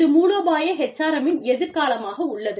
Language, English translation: Tamil, Which is the future of HRM, not strategic HRM